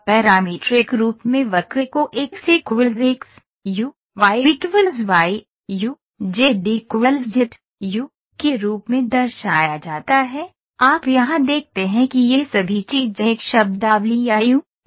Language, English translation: Hindi, In parametric form the curve is represented as x equal to x of u, y equal to y of u, z equal to so, you see here all these things are linked by a terminology or by a factor called ‘u’